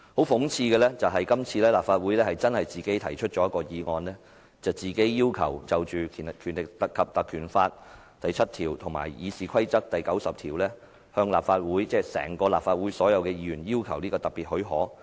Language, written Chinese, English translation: Cantonese, 諷刺的是，今次是由立法會自己提出議案，自行要求"根據《立法會條例》第7條及《議事規則》第90條請求立法會"——即立法會全體議員——"給予特別許可"。, Ironically the motion is proposed by the Legislative Council itself for a Request made under section 7 of the Legislative Council Ordinance Cap . 382 and Rule 90 of the Rules of Procedure for special leave of the Council . By the Council it means all Members of the Legislative Council